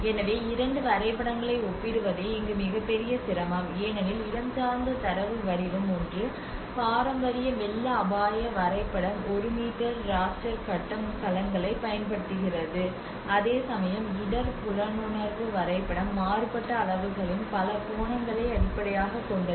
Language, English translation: Tamil, So the biggest difficulty here is comparing the two maps because of the spatial data format one is the traditional flood risk map uses the one meter raster grid cells, whereas the risk perception map is based on the polygons of varying sizes